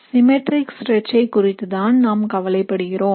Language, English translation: Tamil, What we are worried about is the symmetric stretch